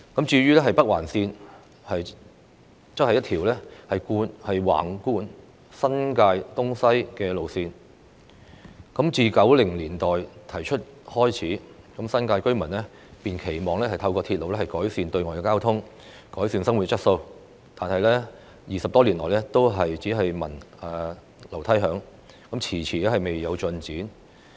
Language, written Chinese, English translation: Cantonese, 至於北環綫則是一條橫貫新界東西的路線，自從政府於1990年代提出興建北環綫，新界居民便期望透過鐵路改善對外交通和改善生活質素，但這個項目20多年來只聞樓梯響，遲遲未有進展。, Northern Link is a railway line connecting the east and the west of the New Territories . Since the Government put forward this construction project in the 1990s residents in the New Territories have looked forward to an improvement in outbound traffic and living quality through railway . Yet we have only heard some noise but no progress for over 20 years